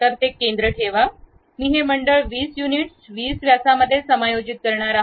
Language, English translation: Marathi, So, keep that center, I am going to adjust this circle to 20 units 20 diameters